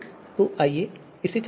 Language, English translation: Hindi, So let us run this